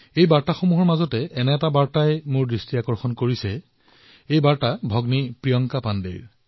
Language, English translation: Assamese, One amongst these messages caught my attention this is from sister Priyanka Pandey ji